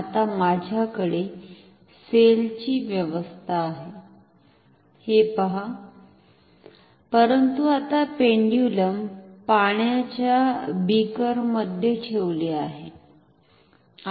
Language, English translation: Marathi, Now, see I have the cell arrangement, but now the pendulum is kept inside a beaker of water